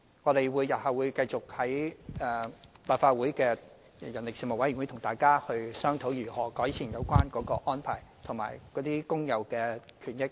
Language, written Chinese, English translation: Cantonese, 我們日後會繼續在立法會相關事務委員會，跟大家商討如何改善有關安排及工友的權益。, We will keep on discussing with Members on enhancing the arrangements and workers rights and benefits at meetings of relevant Panels of the Legislative Council